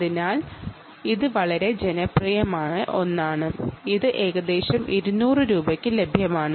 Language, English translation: Malayalam, ok, so its a very popular one ah, which is available for about two hundred rupees